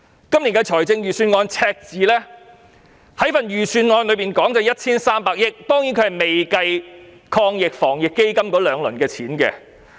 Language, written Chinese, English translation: Cantonese, 今年預算案公布的赤字是 1,300 億元，當然這數目未計算防疫抗疫基金的兩輪款項。, The budget deficit this year amounts to 130 billion which certainly has not included the funding incurred in the two rounds of AEF